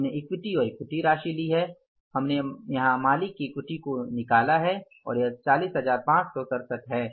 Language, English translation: Hindi, We have taken the equity and the equity amount we worked out here is, owners equity we worked out here is 40,567